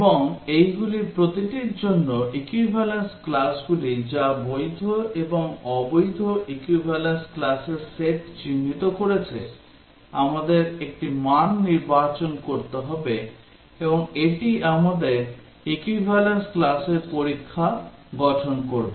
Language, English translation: Bengali, And for each of these, equivalence classes which have been identified the valid and the invalid set of equivalence classes we need to select one value and that will form our equivalence class test